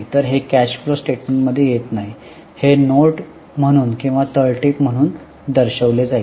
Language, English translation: Marathi, So, it is not coming in the cash flow statement, it will be shown as a note or as a footnote